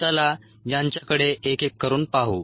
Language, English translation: Marathi, let us look at these one by one